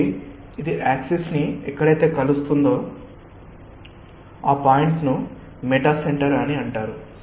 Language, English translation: Telugu, so where it meets the axis, that point is known as meta centre